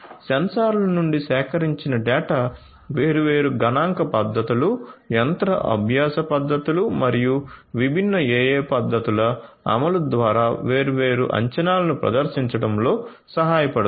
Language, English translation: Telugu, The data that are collected from the sensors can help in performing different predictions through the implementation of different statistical techniques, machine learning techniques, different AI techniques and so on